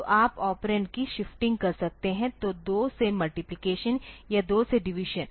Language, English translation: Hindi, So, you can do a shifting of the operand, so, multiplication by 2 or division by 2